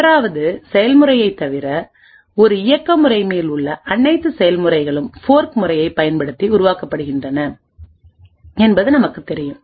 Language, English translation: Tamil, What we do know is that all processes in an operating system are created using the fork system, except for the 1st process